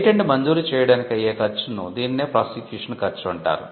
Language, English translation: Telugu, The cost of getting the patent granted; that is the prosecution cost